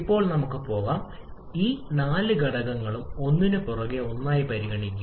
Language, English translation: Malayalam, So now let us consider all these four factors one after the other